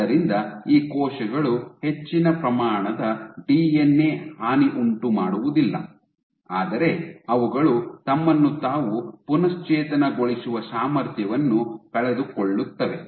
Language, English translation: Kannada, So, these cells can not only will have more amount of DNA damage, but they lose the ability to restive themselves ok